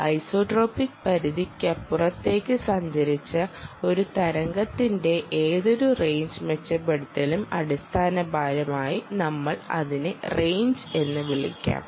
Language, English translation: Malayalam, any range, improvement, any wave which has travelled beyond the isotropic range, essentially we can be called as the, i can be known as the range